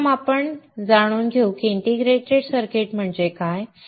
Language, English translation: Marathi, First we learn what is an integrated circuit